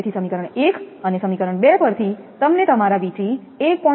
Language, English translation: Gujarati, So, from equation 1 and equation 2, you will get V 3 is equal to your 1